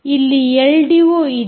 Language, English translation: Kannada, there is an l d o here